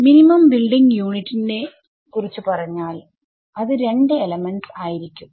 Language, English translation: Malayalam, So, the minimum building unit to talk about this is going to be 2 elements